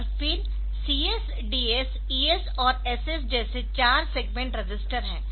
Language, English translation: Hindi, And then there are four such segment registers CS, DS, ES, and SS